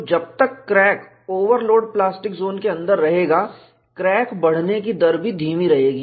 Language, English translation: Hindi, So, as long as the crack remains within the overload plastic zone, the growth rate of the crack would be retarded